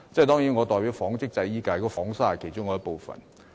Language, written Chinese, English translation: Cantonese, 當然，我代表紡織及製衣界別，紡紗是其中一部分。, Certainly I represent the textiles and garment constituency and spinning is a part of the industry